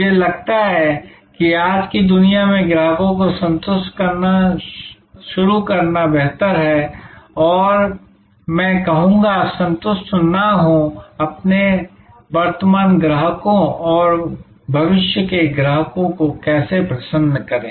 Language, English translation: Hindi, I think in today's world it is better to start with how to satisfy customers and I would say not satisfy, how to delight our current customers and future customers